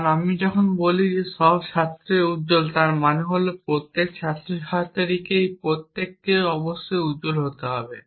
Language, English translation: Bengali, Because when I say all students are bright it means that each and every students that each and every person whose the student must be bright